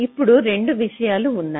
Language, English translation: Telugu, ok, now there are two things